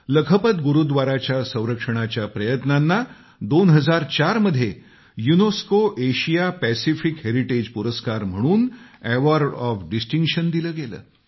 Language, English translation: Marathi, The restoration efforts of Lakhpat Gurudwara were honored with the Award of Distinction by the UNESCO Asia Pacific Heritage Award in 2004